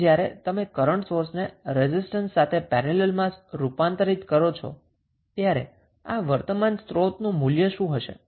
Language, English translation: Gujarati, You will convert this into current source in parallel with resistance what would be the value of this current source